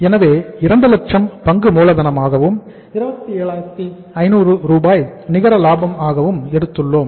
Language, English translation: Tamil, So we have taken 2 lakhs as share capital; 27,500 as the profit, net profit